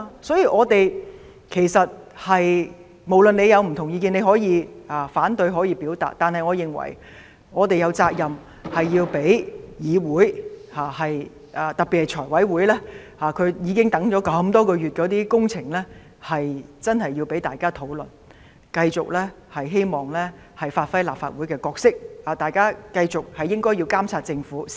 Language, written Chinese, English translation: Cantonese, 所以，儘管大家有不同意見，你可以反對、可以表達，但我認為我們有責任讓議會認真進行討論，特別是財委會那些已積壓多月的工程，我們希望能夠繼續發揮立法會的角色，繼續監察政府。, So even though we may not see eye to eye with each other you can voice your opposition and express your views and I think we are duty - bound to ensure that discussions can be conducted seriously in this Council and especially when those projects have been accumulated for months in the Finance Committee we hope that we can continuously perform the role of the Legislative Council and exercise monitoring on the Government